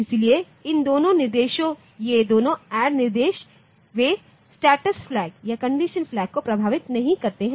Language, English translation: Hindi, So, these two instructions, these two add instructions they do not affect the status flags or the condition flags